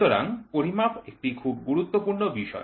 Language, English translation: Bengali, So, measurements is a very very important topic